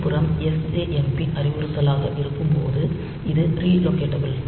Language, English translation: Tamil, But see this when it is sjmp instruction on the other hand, so this is re locatable